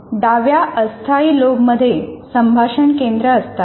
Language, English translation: Marathi, The left temporal lobe houses the speech centers